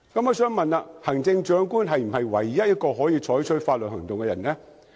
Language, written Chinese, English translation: Cantonese, 我想問，行政長官是否唯一可以採取法律行動的人呢？, Is the Chief Executive the only person who can take legal actions may I ask?